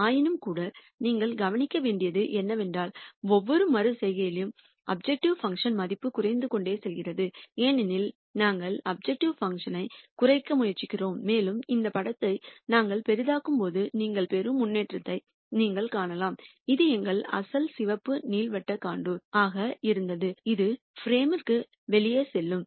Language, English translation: Tamil, Nonetheless all I want you to notice is that at every iteration the value of the objective function keeps coming down because we are trying to minimize the objective function, and you can see the kind of improvement you get as we keep zooming down this picture, this was our original red elliptical contour which is kind of going outside the frame